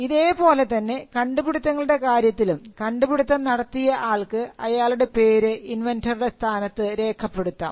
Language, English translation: Malayalam, So, similarly, with regard to inventions, you have a provision where the inventor can mention himself or herself as the inventor